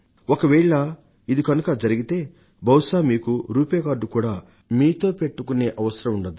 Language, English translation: Telugu, If this happens, perhaps you may not even need to carry a RuPay card with you